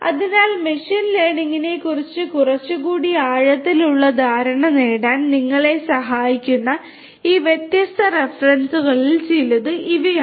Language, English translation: Malayalam, So, these are some of these different references that can help you to get a little bit more in depth understanding of machine learning